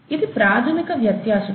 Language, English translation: Telugu, This is the basic difference